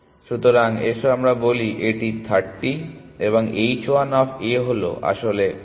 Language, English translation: Bengali, So, let us say it is 30 and h 1 of A is actually 40